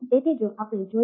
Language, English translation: Gujarati, so what we